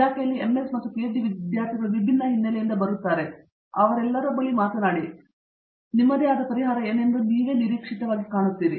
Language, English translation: Kannada, The MS and PhD scholars students population in the department come from many different background, so talk to all of them and you will see a good prospective emerge of as to what the solution to these 2 questions are for your own training